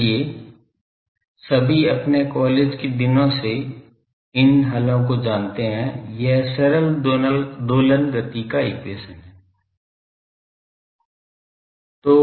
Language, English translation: Hindi, So, all of us from our college days knows these solution this is simple harmonic motions solution